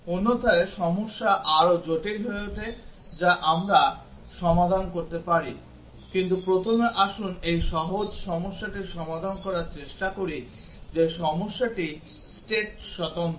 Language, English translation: Bengali, Otherwise the problem becomes much more complex which we can solve, but then first let us try to solve this simpler problem that the problem is state independent